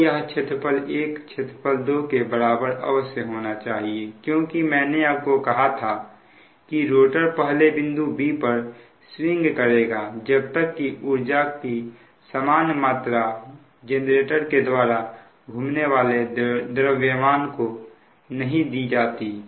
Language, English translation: Hindi, so this area one must be equal to area two because i said the rotor must swing past point b until an equal amount of energy is given up by the rotating masses